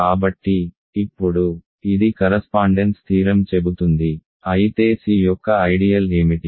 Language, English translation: Telugu, So, now, this is what the correspondence theorem says, but what are ideal of C